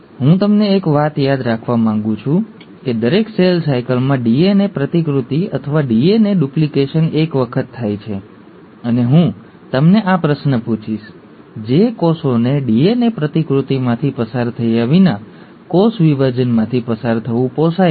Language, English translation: Gujarati, Now one thing I want you to remember is that in every cell cycle, the DNA replication or the DNA duplication happens once, and, I will pose this question to you, that can cells afford to undergo a cell division, without undergoing DNA replication